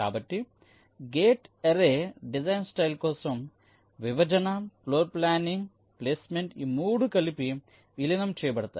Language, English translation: Telugu, so for gate array, design style, the partitioning, floorplanning, placement, all this three can be merged together